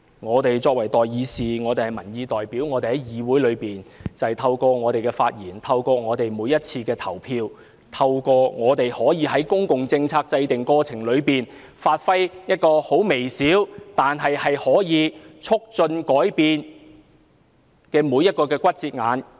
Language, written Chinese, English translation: Cantonese, 我們作為代議士和民意代表，透過在議會的發言和投票，在公共政策制訂過程中的每一個節骨眼發揮微小，但可以促進改變的作用。, As elected representatives of the public we play a modest but influential role in every step of the policy - making process through our speeches and votes in this Council